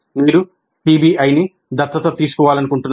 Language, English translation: Telugu, You want to adopt PBI